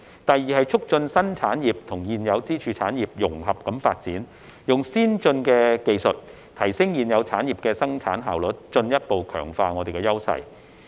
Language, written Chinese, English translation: Cantonese, 第二是促進新興產業與現有支柱產業融合發展，用先進技術提升現有產業的生產效率，進一步強化優勢。, The second is to promote the integrated development of emerging industries with existing pillar industries using advanced technologies to enhance the production efficiency of existing industries and further strengthen their advantages